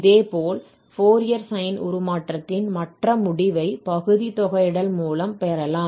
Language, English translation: Tamil, Similarly, the other results on this Fourier sine transform can be obtained just by integrating by parts